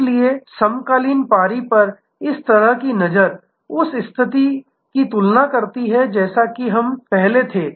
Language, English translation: Hindi, So, this kind of looks at the contemporary shift compare to the situation as we had before